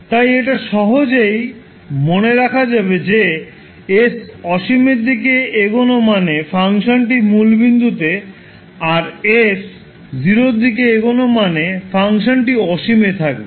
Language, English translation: Bengali, So you can simply remember it by understanding that when s tending to infinity means the value which you will get will be at origin and when s tends s to 0 the value which you will get for the function is at infinity